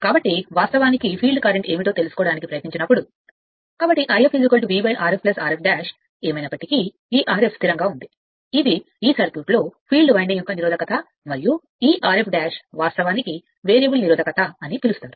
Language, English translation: Telugu, So, I f will be is equal to V upon R f dash plus R f right, this R f anyway is fixed, this is the field resistance of the circuit of this of this filed winding and this R f dash actually, your what you call that variable resistance